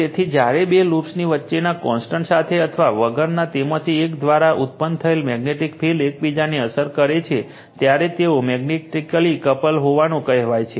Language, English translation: Gujarati, So, when two loops with or without contact between them affect each other through the magnetic field generated by one of them, they are said to be magnetically coupled right